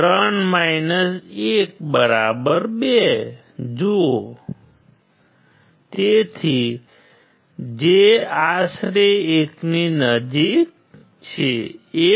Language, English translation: Gujarati, See 3 1=2; so, which is approximately close to 1, close to 1